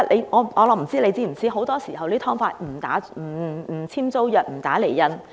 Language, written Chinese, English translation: Cantonese, 我不知道局長是否知道，很多時候租住"劏房"不簽租約、不打釐印。, I do not know if the Secretary is aware that often no tenancy agreement is signed or stamped for the lease of subdivided units